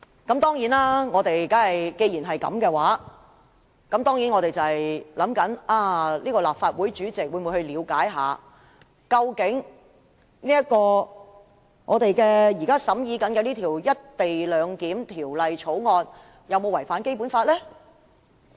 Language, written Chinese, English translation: Cantonese, 既然如此，我們在想，立法會主席會否了解我們現時審議的《廣深港高鐵條例草案》究竟有沒有違反《基本法》？, As such can the President of the Legislative Council ascertain whether the Guangzhou - Shenzhen - Hong Kong Express Rail Link Co - location Bill the Bill we are now scrutinizing has contravened the Basic Law?